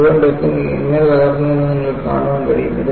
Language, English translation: Malayalam, You can see how the entire deck has fractured